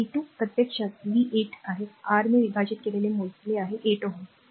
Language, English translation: Marathi, So, v square actually v is 8, we have computed divided by R is 8 ohm